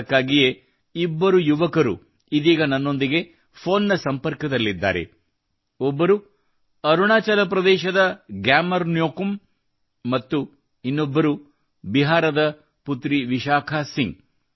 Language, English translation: Kannada, That's why two young people are connected with me on the phone right now one is GyamarNyokum ji from Arunachal Pradesh and the other is daughter Vishakha Singh ji from Bihar